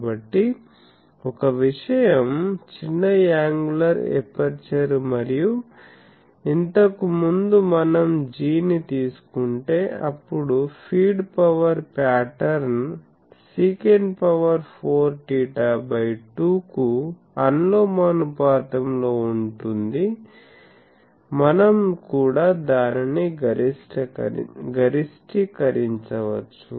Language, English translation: Telugu, So, one thing is small angular aperture and previously we have seen that if we take the g, the feed power pattern that is proportional to sec 4 theta by 2, then also we can maximise